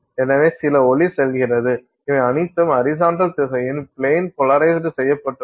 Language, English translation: Tamil, So, some light goes through all of which is plain polarized, you know, in the horizontal direction